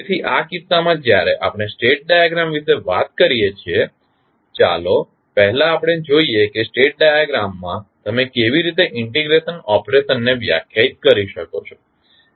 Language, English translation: Gujarati, So, in this case when we talk about the state diagram let us first see how the integration of operation you will define in the state diagram